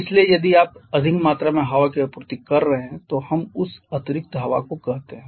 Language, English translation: Hindi, So, if you are supplying higher one quantity of air they recall that excess air